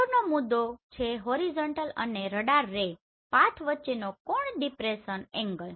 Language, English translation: Gujarati, The next one is depression angle the angle between the horizontal and radar ray path